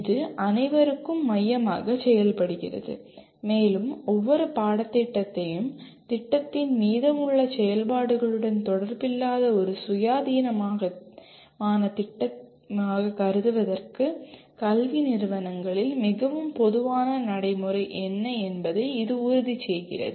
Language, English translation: Tamil, That serves as the focus for all and it also ensures what is very common practice in academic institutes to treat each course as an independent entity unrelated to the rest of the activities in the program